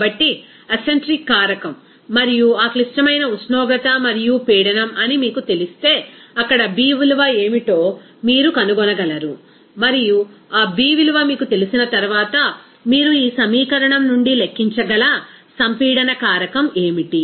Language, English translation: Telugu, So, if you know that the acentric factor and also that critical temperature and pressure, you will be able to find out what will be B value there, and once you know that B value, then what should be the compressibility factor you can calculate from this equation